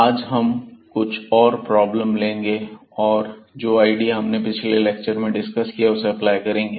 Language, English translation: Hindi, And in particular today we will see some typical problems where, we will apply the idea which was discussed already in previous lectures